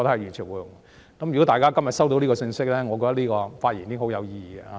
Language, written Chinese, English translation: Cantonese, 如果大家今天收到這個信息，我的發言便很有意義。, My speech will be very meaningful if my message is well received today